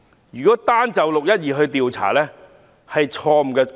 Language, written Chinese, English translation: Cantonese, 如果單就"六一二"事件進行調查，是錯誤的要求。, It will be wrong to demand for an inquiry that merely inquires into the 12 June incident